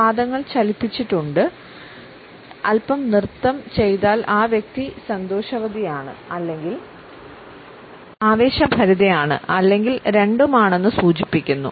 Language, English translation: Malayalam, If the feet get jiggly and do a little dance the person is happy or excited or both